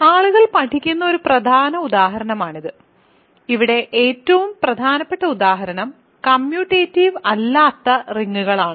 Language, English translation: Malayalam, So, that is a definitely important example that people study and the most important example here is for non commutative rings